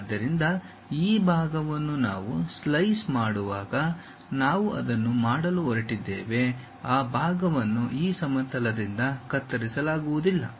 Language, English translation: Kannada, So, this part when slice we are going to make it, that part is not chopped off by this plane